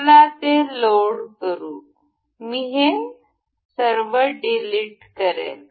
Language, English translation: Marathi, Let us just load it, I will delete this one